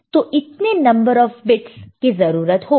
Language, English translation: Hindi, So, 3 such bits will be required